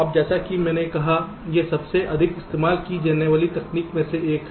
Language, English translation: Hindi, now, as i said, this is one of the most widely used technique